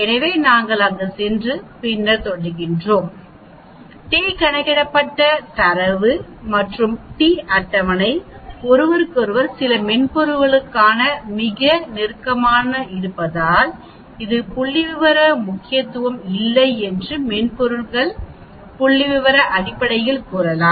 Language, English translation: Tamil, Because the data the t calculated and t table are very close to each other some software's may say it is not statistically significance, some software may say statistically significant